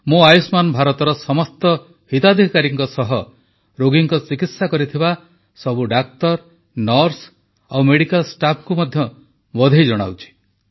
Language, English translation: Odia, I congratulate not only the beneficiaries of 'Ayushman Bharat' but also all the doctors, nurses and medical staff who treated patients under this scheme